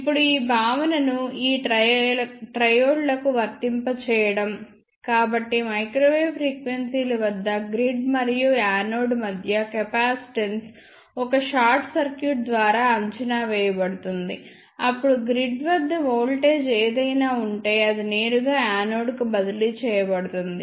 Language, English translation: Telugu, Now, applying this concept to this triode, so let us say at microwave frequencies capacitance between grid and anode is approximated by a short circuit, then whatever voltage is present at the grid that will be directly transfer to anode